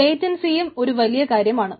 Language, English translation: Malayalam, so latency also a big thing, right